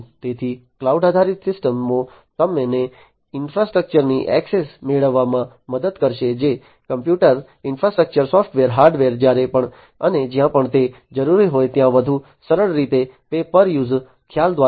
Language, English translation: Gujarati, So, cloud based systems will help you to get access to the infrastructure that computing infrastructure, the software, hardware etc, whenever and wherever it is going to be required, in a much more easier way, through the pay per use concept